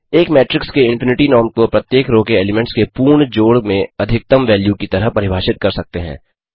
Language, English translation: Hindi, The infinity norm of a matrix is defined as the maximum value of sum of the absolute of elements in each row